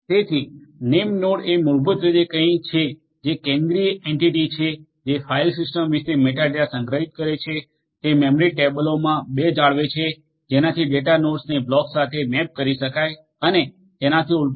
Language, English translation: Gujarati, So, the name node basically is something which is the centralised entity which stores the metadata about the file system, it maintains two in memory tables to map the data nodes to the blocks and the vice versa